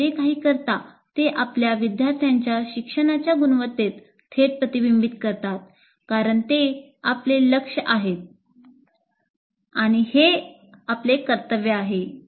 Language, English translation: Marathi, Whatever you do will directly reflect in the quality of learning of your students because that is our, they are our goal, they are our duty